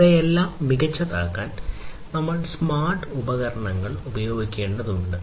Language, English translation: Malayalam, So, for all of these in order to make them smarter, we need to use smart devices, smart devices, right